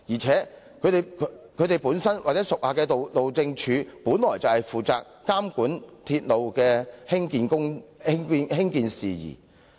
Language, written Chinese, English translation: Cantonese, 此外，該局屬下的路政署，本應負責監管鐵路興建事宜。, Besides the Highways Department HyD under the Bureau should be responsible for monitoring the construction of railways